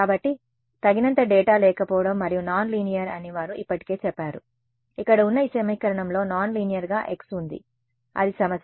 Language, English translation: Telugu, So, they have already said that ill posed not enough data and non linear right, this equation over here is non linear in x that is the problem